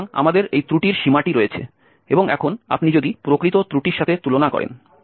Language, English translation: Bengali, So, we have this error bound and now if you compare with the actual error, so we have taken for instance 0